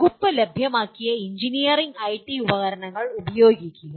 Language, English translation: Malayalam, Use the engineering and IT tools made available by the department